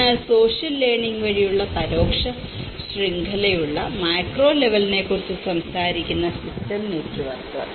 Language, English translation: Malayalam, But the system networks which talks about the macro level which has an indirect network which is through the social learning